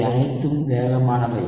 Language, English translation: Tamil, All of these are fast